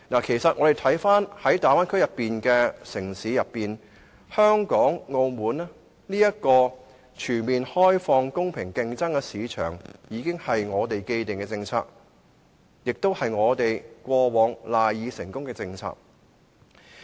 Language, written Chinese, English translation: Cantonese, 其實，大灣區內的城市當中，香港和澳門均屬全面開放、容許公平競爭的市場，這是我們的既定的政策，也是我們以往賴以成功的政策。, Actually if we look at all the cities in the Bay Area we will see that Hong Kong and Macao are the only ones that provide a completely free and open market or a level playing field . This is actually our established policy and also the very cornerstone of our success so far